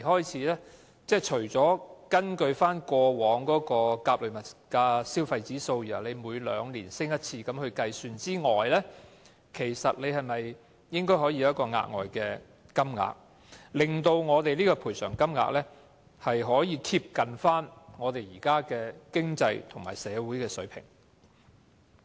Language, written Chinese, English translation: Cantonese, 除了根據過往的做法，參考甲類消費物價指數，每兩年提高一次賠償金額之外，是否應該可以有一個額外金額，令我們的賠償金額能夠貼近現時的經濟和社會水平？, And besides following the established practice of making a biennial increase based on the Consumer Price Index A is it possible to make available an extra amount of money so as to brush the bereavement sum up to the present economic and social standards?